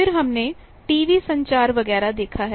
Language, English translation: Hindi, Then we have seen TV communication, etcetera